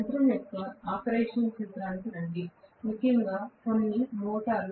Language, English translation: Telugu, Just come back to the principle of operation of the machine, especially as some motor